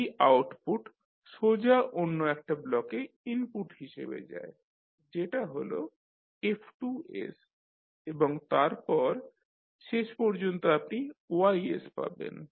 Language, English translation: Bengali, So this output goes directly as an input to the another block that is F2s and then finally you get the Ys